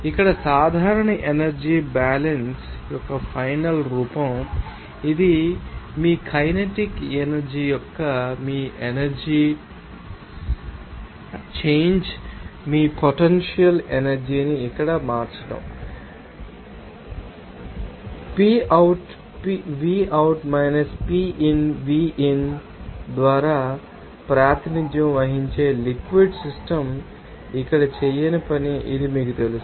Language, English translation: Telugu, Final form of general energy balance here so, this will be your change your potential energy change of kinetic energy, change your potential energy here this, you know that this no work done by the fluid system here that will be represented by this PoutVout PinVin then it will be close to here as general balance equation given